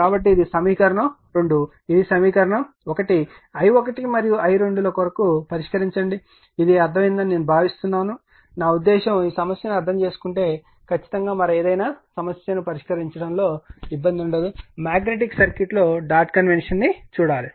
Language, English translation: Telugu, So, this is equation 2, this is equation 1 you solve for i 1 and i 2 right, I hope you have understood this right, I hope you have understood this I mean if you understood, if you have understand this understood this problem then absolutely there is no problem for solving any other problem in magnetic circuit right just you have to see the dot convention